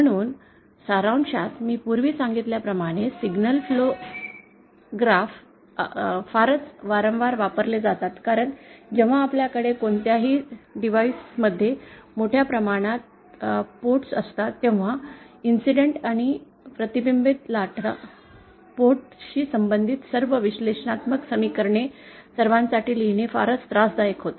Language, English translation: Marathi, So, in summary, signal flow graphs are very, very frequently used as I have mentioned earlier because when we have a large number of ports on any device, it becomes very tedious to actually write all the analytically equations relating incident and reflected waves for all the ports